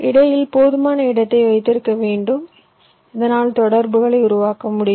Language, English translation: Tamil, you should keep sufficient space in between so that you will interconnections can be made